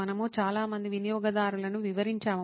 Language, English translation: Telugu, Lots of users we detailed out